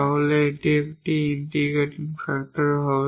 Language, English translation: Bengali, So, that will be the integrating factor